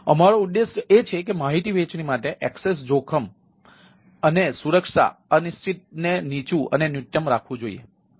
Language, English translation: Gujarati, so our objective is to that ah access risk and security uncertain c ah for information sharing should be kept ah low or minimum